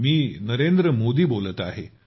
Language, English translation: Marathi, This is Narendra Modi speaking